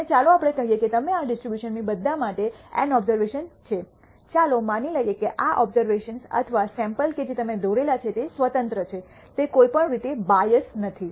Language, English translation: Gujarati, And let us say you draw N capital N observations for all from this distribution; let us assume these draws or samples that you are drawn are independent, it does not have a bias in any manner